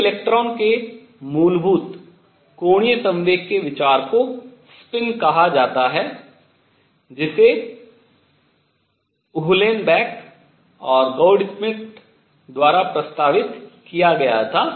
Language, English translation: Hindi, The idea of intrinsic angular momentum of an electron is called the spin was proposed by Uhlenbeck and Goudsmit